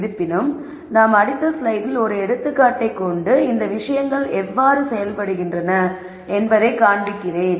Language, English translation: Tamil, However, what we are going to do is in the next slide we will take an example and then show you how these things work